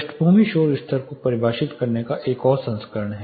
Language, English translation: Hindi, There is another version of defining background noise level